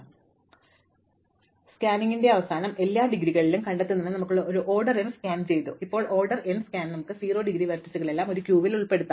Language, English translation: Malayalam, So, at the end of this scan we have done an order m scan to find all the indegrees, now and in an order n scan we can put all the 0 degree vertices in to a queue